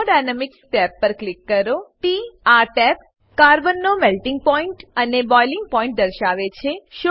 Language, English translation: Gujarati, Click on Thermodynamics tab This tab shows Melting Point and Boiling point of Carbon